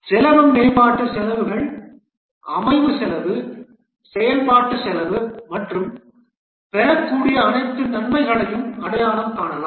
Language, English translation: Tamil, The cost can be development costs, the set up cost, operational cost and also identify all the benefits that would accrue